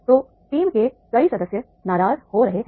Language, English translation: Hindi, So many team members they, they are getting angry